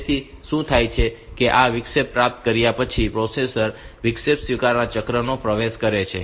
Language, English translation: Gujarati, So, what happens is that upon getting this interrupt processor enters into an interrupt acknowledge cycle